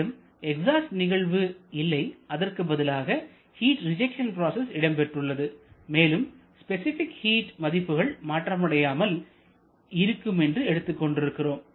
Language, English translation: Tamil, Similarly there is no exhaust it is being replaced by heat rejection process and we are assuming the specific heats to be constant